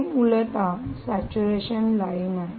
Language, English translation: Marathi, i will show the saturation line